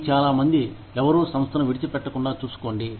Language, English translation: Telugu, These many, make sure that, nobody leaves the organization